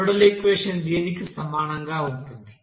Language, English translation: Telugu, So the model equation will be is equal to